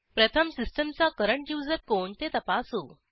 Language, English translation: Marathi, First, lets check the current user of the system